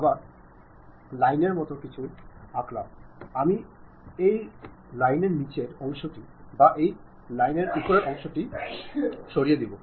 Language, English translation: Bengali, I have drawn something like line; I want to either remove this bottom part of that line or top part of that line